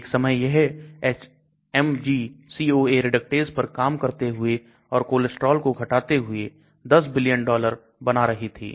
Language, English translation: Hindi, Once upon time it was making 10s of billions of dollars for reducing the cholesterol by acting on this HMG CoA reductase